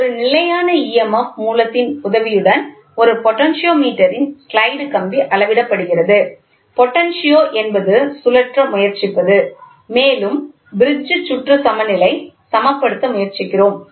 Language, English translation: Tamil, A slide wire of a potentiometer has been measured regarding emf with the help of a standard emf source, ok, potentio is nothing but we try to rotate and try to balance a circuit or balance a bridge